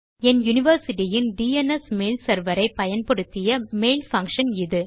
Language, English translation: Tamil, So thats a mail function by using my universitys DNS mail server